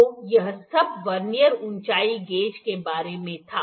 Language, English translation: Hindi, So, this was all of about the Vernier height gauge